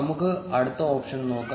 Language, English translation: Malayalam, Let us look at the next option